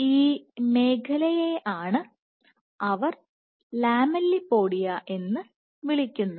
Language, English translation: Malayalam, So, this is the zone which they refer as lamellipodia